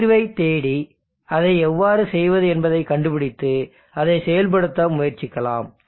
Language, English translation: Tamil, Let us seek a solution and try to find out and how do that and implement that